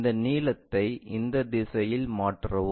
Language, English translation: Tamil, Transfer this length in this direction